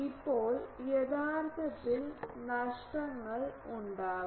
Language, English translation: Malayalam, Now, actually there will be losses etc